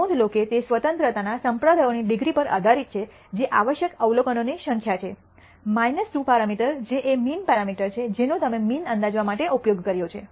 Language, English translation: Gujarati, Notice that that depends on the denominator degrees of freedom which is essentially total number of observations minus 2 parameters which are mean parameters that you have used up to estimate the means